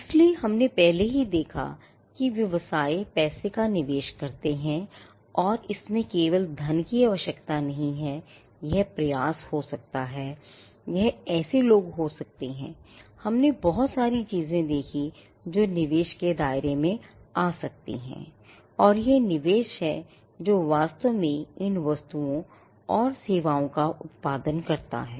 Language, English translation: Hindi, So, we had already seen that, businesses do invest money and in it need not be just money; it could be efforts, it could be people we saw a whole lot of things, that can fall within the ambit of investment and it is the investment that actually produces these goods and services